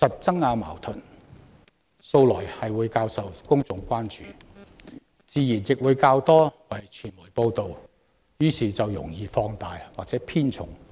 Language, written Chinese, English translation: Cantonese, 爭拗矛盾素來較受公眾關注，傳媒自然亦會多加報道，於是某些論據就容易被放大或偏重。, Disputes and conflicts always attract more public attention and naturally receive more media coverage thus some arguments are prone to being exaggerated or highlighted